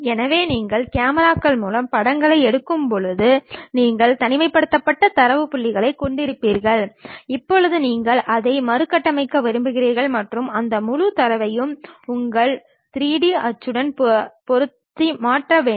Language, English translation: Tamil, So, when you are actually taking pictures through cameras, you will be having isolated data points now you want to reconstruct it and transfer that entire data to your 3D printing object